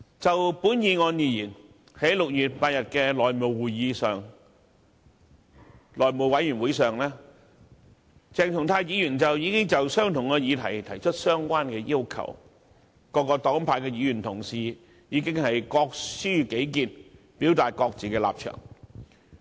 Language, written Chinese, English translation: Cantonese, 就這項議案而言，在6月8日的內務委員會會議上，鄭松泰議員亦曾就同一議題提出相關的要求，而各黨派議員當時已經各抒己見，表達各自的立場。, Concerning this motion a similar request was made by Dr CHENG Chung - tai on the same subject at the meeting of the House Committee held on 8 June and Members from different parties had already expressed their different views and positions